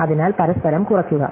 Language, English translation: Malayalam, So, they reduce to each other